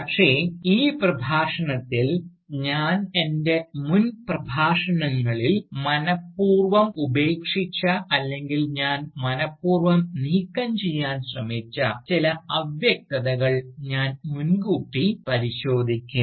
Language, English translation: Malayalam, But, in this Lecture, I would try and foreground, some of that vagueness, which I had deliberately left out, or which I had deliberately tried removing, in my earlier Lectures